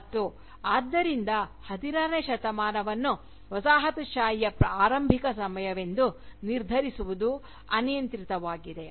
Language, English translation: Kannada, And, therefore, to have the 16th century, as a cut off date for Colonialism, is ultimately arbitrary